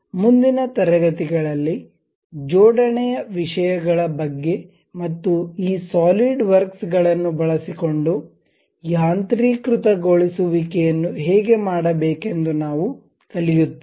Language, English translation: Kannada, In the next classes, we will learn about assembly things and how to make automation using this solid works